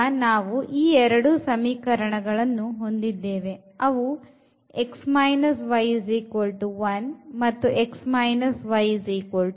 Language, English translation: Kannada, So, we have these two equations x minus y is equal to 1 and x minus y is equal to 2